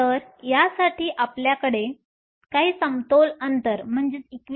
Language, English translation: Marathi, So, for this we will have some equilibrium distance